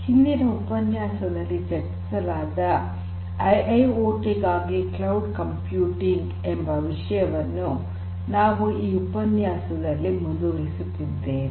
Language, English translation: Kannada, So, in this particular lecture we are going to continue from what we discussed in the previous part on Cloud Computing for IIoT